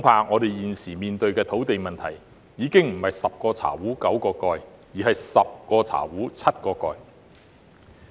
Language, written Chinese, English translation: Cantonese, 我們現時面對的土地問題恐怕已經不是"十個茶壺九個蓋"，而是"十個茶壺七個蓋"。, I am afraid the land issue that we are facing is more serious than having only nine lids for ten teapots as there are probably only seven lids for ten teapots